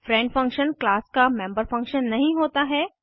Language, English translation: Hindi, A friend function is not a member function of the class